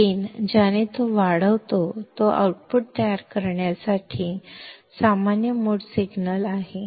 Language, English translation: Marathi, The gain with which it amplifies is the common mode signal to produce the output